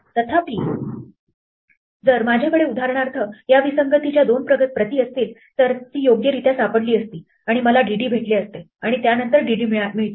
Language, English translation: Marathi, Whereas, if I had for instance two copies of this disjoint then it would have correctly found this and given me DD followed by DD